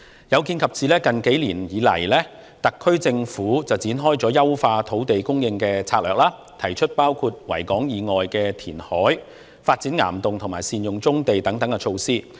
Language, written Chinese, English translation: Cantonese, 有見及此，特區政府近數年推出了優化土地供應策略，提出包括在維多利亞港以外填海、發展岩洞和善用棕地等措施。, In view of this the SAR Government has been implementing a streamlined land supply strategy in recent years by proposing such measures as carrying out reclamation outside the Victoria Harbour developing caverns making optimal use of brownfield sites and so on